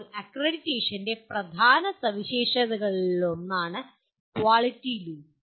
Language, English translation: Malayalam, Now, one of the important features of accreditation is the Quality Loop